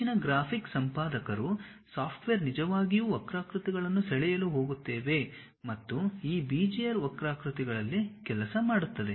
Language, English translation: Kannada, Most of the graphics editors, the softwares whatever we are going to really draw the curves and render the things works on these Bezier curves